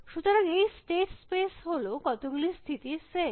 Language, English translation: Bengali, So, this state space is the set of states